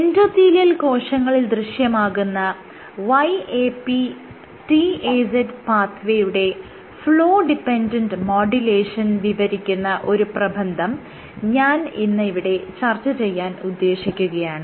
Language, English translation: Malayalam, Today I will discuss one paper where they have described the Flow dependent modulation of YAP/TAZ pathway in endothelial cells